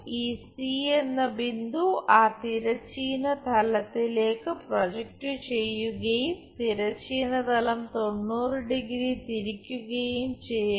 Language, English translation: Malayalam, Then, project this point A on to horizontal plane, then rotate it by 90 degree